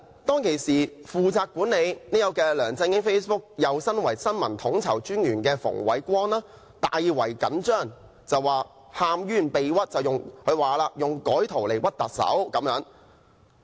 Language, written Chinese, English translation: Cantonese, 當時負責管理梁振英 Facebook 帳戶，又兼為新聞統籌專員的馮煒光大為緊張，喊冤被屈，說是有人以改圖來"屈"特首。, Andrew FUNG who was the Information Co - ordinator and responsible for managing LEUNG Chun - yings Facebook at that time took the matter very seriously . Not only did he complain of being set up and wrongly accused he also said that some people had altered the pictures to make untruthful accusations of the Chief Executive